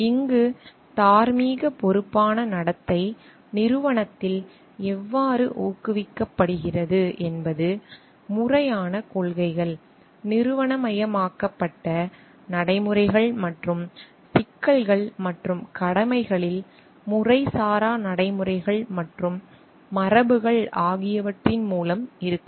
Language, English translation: Tamil, How this morally responsible conduct is encouraged in the organization is by the combination of may be formal policies, procedures which is institutionalized, and also may be through informal practices and traditions job at issues and commitments